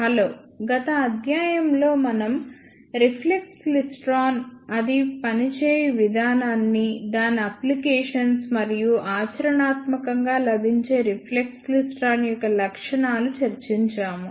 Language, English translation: Telugu, Hello, in the last lecture, we discussed reflex klystron, its working, its applications and a specifications of practically available reflex klystron